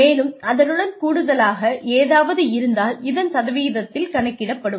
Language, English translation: Tamil, And, anything additional to that is, a percentage of that